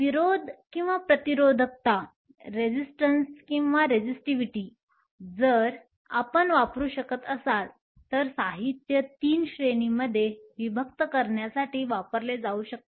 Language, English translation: Marathi, Resistance or resistivity if you will can be used in order to separate materials into 3 categories